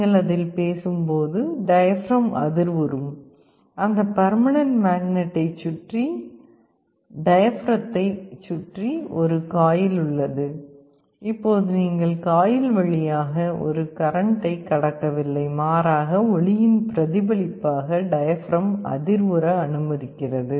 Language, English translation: Tamil, When you speak on it the diaphragm vibrates, there is also a coil around the diaphragm around that permanent magnet, now you are not passing a current through the coil rather you are allowing the diaphragm to vibrate in response to the sound